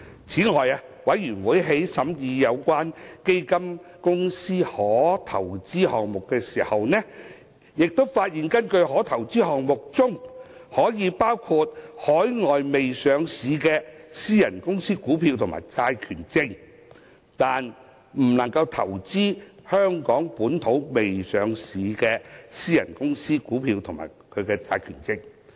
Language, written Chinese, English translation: Cantonese, 此外，法案委員會在審議有關基金公司的可投資項目時發現，可投資項目包括海外未上市的私人公司股票及債權證，但不包括香港未上市的私人公司股票及債權證。, Furthermore when scrutinizing the permissible investment items of the fund companies concerned the Bills Committee found that the permissible items include shares and debentures of overseas unlisted private companies but not those of local unlisted private companies